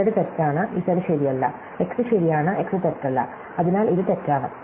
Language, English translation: Malayalam, So, z is false, so z is not true, x is true, so not x is false, so this is false or false